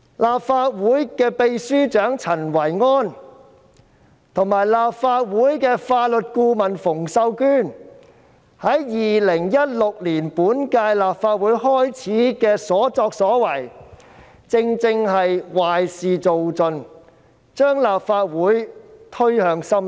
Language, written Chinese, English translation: Cantonese, 立法會秘書長陳維安及法律顧問馮秀娟在2016年本屆立法會開始時的所作所為，正正是壞事做盡，將立法會推向深淵。, What Secretary General of the Legislative Council Secretariat Kenneth CHEN and Legal Adviser of the Legislative Council Connie FUNG did at the start of the current Legislative Council term in 2016 reflected precisely that they were doing all kinds of evil pushing the Legislative Council into an abyss